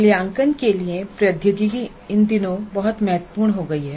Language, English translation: Hindi, Technology for assessment and evaluation has become very important these days